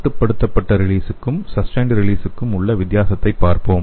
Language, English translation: Tamil, So let us see the difference between the controlled release and sustained release